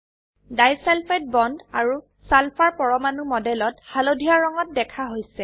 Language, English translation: Assamese, Disulfide bonds, and sulphur atoms are shown in the model in yellow colour